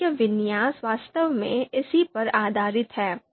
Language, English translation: Hindi, The syntax is actually based on this